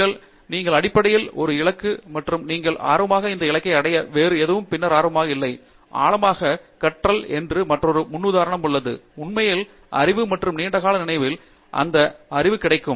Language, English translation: Tamil, Where, you basically have a goal and up to achieving that goal only you are interested, you are not interested in anything else and then, there is another paradigm called In depth learning, where you are really interested to know go to the bottom of the knowledge and then get that knowledge to your long term memory